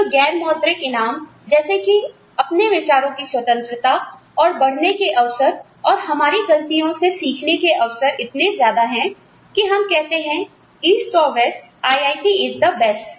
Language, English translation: Hindi, But, the non monetary rewards, in terms of, freedom of thought, opportunities to grow, opportunities to learn, from our mistakes, are, so many, that we say, east or west, IIT is the best